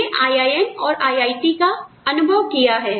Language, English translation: Hindi, I have experienced IIM, and I have experienced IIT